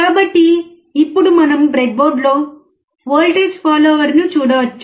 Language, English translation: Telugu, So, now we can see the voltage follower on the breadboard